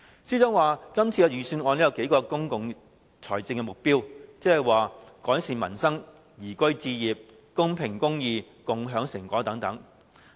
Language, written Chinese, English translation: Cantonese, 司長說今年的預算案有數個公共財政目標，即"改善民生、宜居置業、公平公義、共享成果"。, According to the Financial Secretary the Budget this year seeks to achieve several objectives in public finances namely improving livelihood enhancing liveability upholding social justice and sharing fruits of success